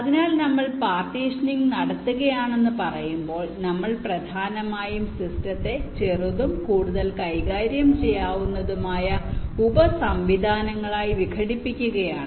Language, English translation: Malayalam, so when we say we are doing partitioning, we are essentially decomposing the system into smaller and more manageable subsystems, such that each of the subsystems can be handled, designed and laid out independently